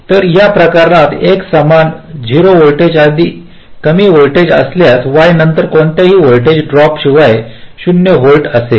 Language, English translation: Marathi, so for this case, if x equal to zero volts very low voltage, then y will also be zero volts without any voltage drop